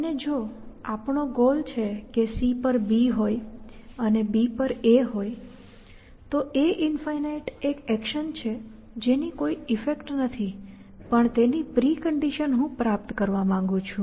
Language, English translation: Gujarati, And if our goal is to have A on B on C, then my a infinity is an action which has no effects but whose preconditions are what I want to achieve